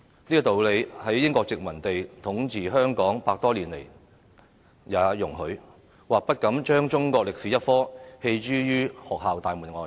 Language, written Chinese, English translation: Cantonese, 這個道理在英國殖民者統治香港100多年來也容許，不敢將中國歷史科棄諸於學校大門外。, That is why the British colonists dared not disallow schools to teach Chinese history during their rule of Hong Kong for over 100 years or so